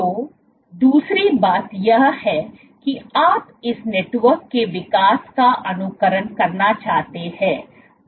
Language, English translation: Hindi, So, second thing is, you want to simulate the growth of this network right